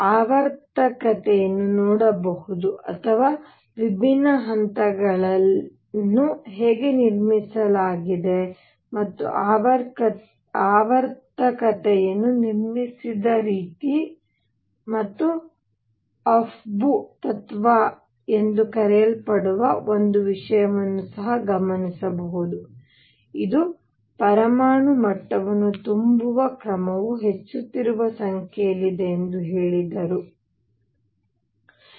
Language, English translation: Kannada, So, one could see the periodicity or how the different levels are built, and one also observed the way periodicity was built and came up with something called the Afbau principle, which said that the order in which atomic levels are filled is in increasing number for n plus l